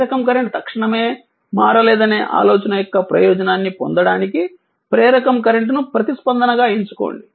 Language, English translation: Telugu, Select the inductor current as the response in order to take advantage of the idea that the inductor current cannot change instantaneously right